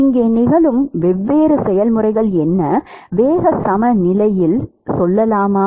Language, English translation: Tamil, So, what are the different processes which are occurring here, let us say in momentum balance